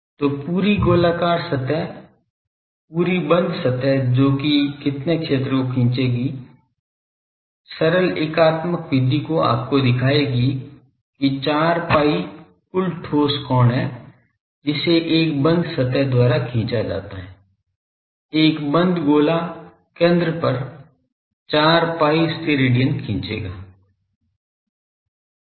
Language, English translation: Hindi, So, the whole spherical surface whole close surface that will subtend how much area ; simple unitary method will show you that 4 pi Stedidian is the total solid angle that is subtended by a closed surface , a closed sphere will subtend at the centre 4 pi Stedidian